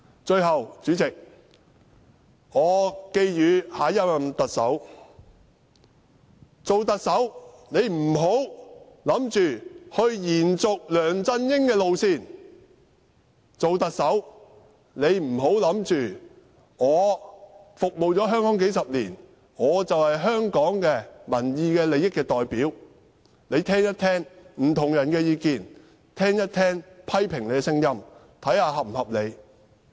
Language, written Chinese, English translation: Cantonese, 最後，主席，我寄語下任特首，做特首不要想着延續梁振英的路線；做特首不要想着已服務香港數十年，便是香港民意利益的代表，請聽一聽不同人的意見，聽一聽批評你的聲音，看看是否合理。, Last but not least President I wish to advise the next Chief Executive not to continue the route taken by LEUNG Chun - ying . Do not think that you are the representative of public opinion and public interests just because you have served Hong Kong for decades . Please listen to different views and criticisms about you and see if they are justified